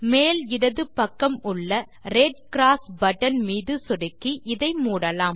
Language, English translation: Tamil, Lets close this by clicking on the Red Cross button on the top left